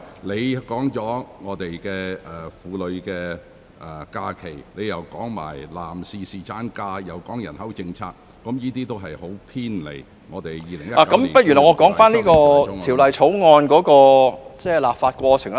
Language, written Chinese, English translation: Cantonese, 你已談及香港婦女的假期、男士侍產假，以至人口政策，這些均偏離了《2019年僱傭條例草案》的範圍。, You have talked about the rest days for women as well as paternity leave for men in Hong Kong and even the population policy all of which are outside the ambit of the Employment Amendment Bill 2019